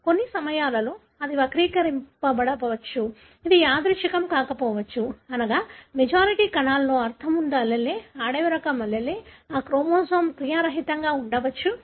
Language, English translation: Telugu, At times it could be skewed, it could be non random, meaning in majority of the cells, the allele that is having, the wild type allele, that chromosome may be inactive